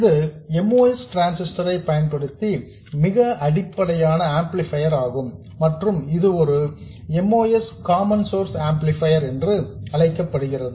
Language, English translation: Tamil, This is the very basic amplifier using a moss transistor and it is known as a moss common source amplifier